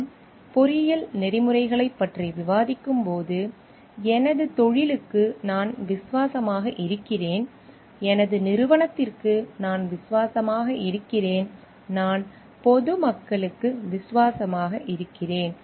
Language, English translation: Tamil, When we are discussing engineering ethics I am loyal to my profession, I am loyal to my organization, I am loyal to the public at large